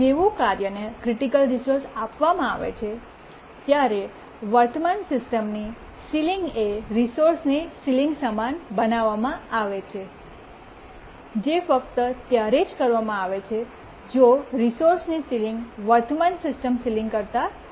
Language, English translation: Gujarati, And as I was saying that as soon as a task is granted the critical resource, the current system sealing is made equal to the sealing of the resource that is granted if the sealing of the resource is greater than the current system ceiling